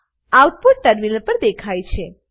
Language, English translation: Gujarati, The output is as shown on the terminal